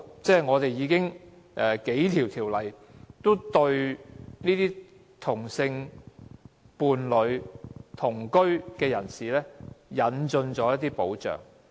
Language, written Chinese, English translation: Cantonese, 香港已有數項法例對同性伴侶及同居的人士，提供了一些保障。, Several pieces of legislation in Hong Kong already provide some protection for same - sex partners and cohabitants